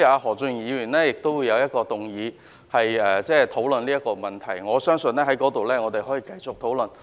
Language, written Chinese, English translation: Cantonese, 何俊賢議員將會動議一項議案討論這個問題，相信屆時我們可以再作討論。, Mr Steven HO will soon move a motion on this issue and I believe we can discuss it again then